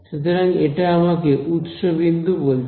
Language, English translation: Bengali, So, that is telling me the source point right